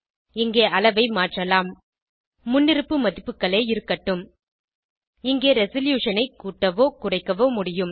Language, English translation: Tamil, You can change the Scale here, we will leave the default values You can increase or decrease the Resolution here